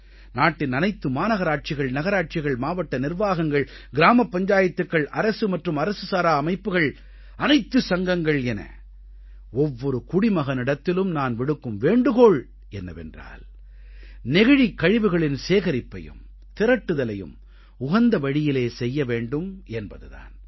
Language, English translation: Tamil, I urge all municipalities, municipal corporations, District Administration, Gram Panchayats, Government & non Governmental bodies, organizations; in fact each & every citizen to work towards ensuring adequate arrangement for collection & storage of plastic waste